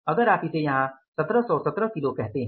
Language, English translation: Hindi, Now how have calculated this 1 717 kgis